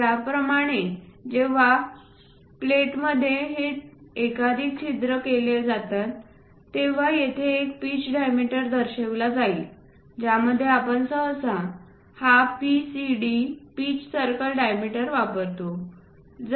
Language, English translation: Marathi, Similarly, whenever these multiple holes are made on a plate, there will be a pitch diameter represented in that case we usually go with this PCD pitch circle diameters